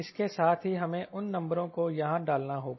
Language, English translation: Hindi, we have to plug those number here